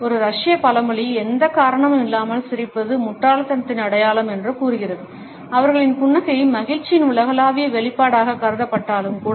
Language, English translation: Tamil, A Russian proverb says that smiling with no reason is a sign of stupidity; even though their smile itself is considered to be a universal expression of happiness